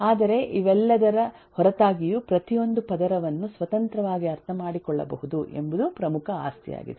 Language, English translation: Kannada, but in spite of all of that, the major property is that eh, every layer can be independently understood